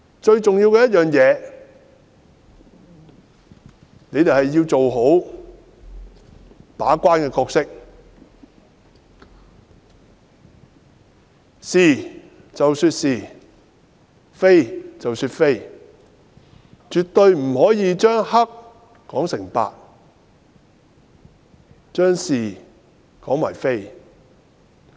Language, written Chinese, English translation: Cantonese, 最重要的，是局方要做好把關的角色，是其是、非其非，絕對不可以將黑說成白，將是說成非。, Most importantly the Bureau should properly play its role as a gatekeeper by approving what is right and condemning what is wrong . It should never call white black or confuse right and wrong